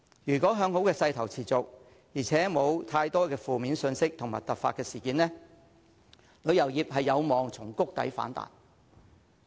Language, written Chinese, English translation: Cantonese, 如果向好的勢頭持續，而且沒有太多負面信息和突發事件，旅遊業有望從谷底反彈。, If this upward trend continues and not affected by negative news and unforeseen incidents the tourism industry may expect a rebound